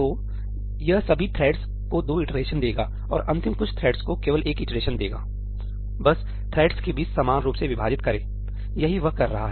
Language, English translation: Hindi, So, it will give two iterations to all the threads and to the last few threads it will just give one iteration just divide it equally amongst the threads, that is what it is doing